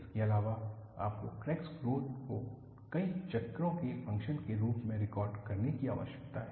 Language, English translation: Hindi, Apart from that, you need to record crack growth as a function of number of cycles